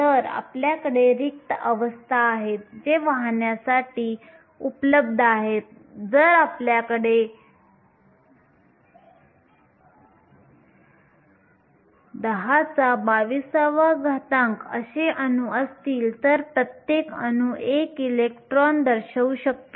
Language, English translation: Marathi, So, you have empty states that are available for conduction, if we have 10 to the 22 atoms then each atom can denote 1 electron